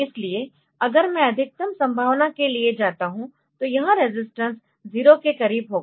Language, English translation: Hindi, So, if I go for the maximum possibility, then this resistance will be close to 0